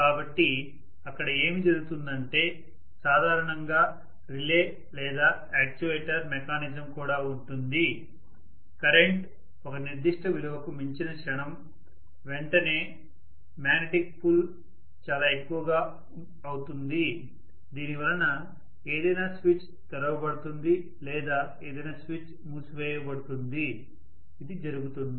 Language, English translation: Telugu, So what happens there is also generally a relay or actuator mechanism, the moment the current goes beyond a particular value immediately the magnetic pull becomes quite a lot because of which some switch is opened or some switch is closed, that is what happens